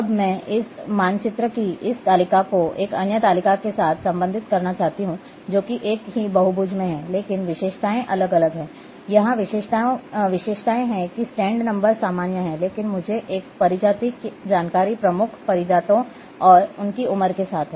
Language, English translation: Hindi, Now I want to relate this table of this map with another table which is which is also having same polygons, but attributes are different, here attributes are that stand number is common, but I am having a species information dominant species and their age